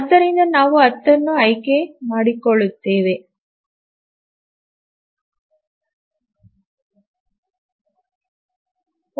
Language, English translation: Kannada, So, you can choose 10